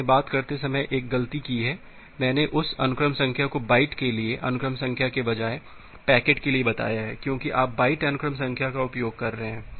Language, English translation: Hindi, I made a mistake while taking, I have told that sequence number for packet rather than that sequence number for the byte because you are using byte sequence number